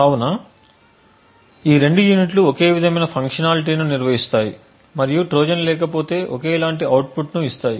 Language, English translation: Telugu, So, both this units perform exactly the same functionality and if there is no Trojan that is present would give the same output